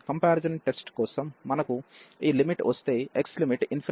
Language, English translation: Telugu, And if we get this limit for the comparison test, so the limit x goes to infinity